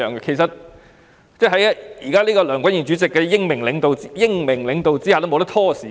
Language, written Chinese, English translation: Cantonese, 其實，現時在梁君彥主席的英明領導下，議員已不可以拖延時間。, In fact under the astute leadership of President Andrew LEUNG Members cannot stall anymore